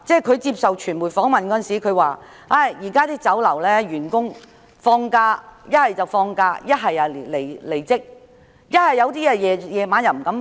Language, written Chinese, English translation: Cantonese, 他接受傳媒訪問時表示，有些員工現時放假，有些已離職，有些在晚上則不敢上班。, In an interview with the media he said that some staff members were currently on leave some had left their jobs and some did not dare go to work at night